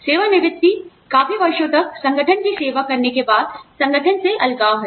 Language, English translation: Hindi, Retirement is separation from the organization, after you have served the organization, for a significant number of years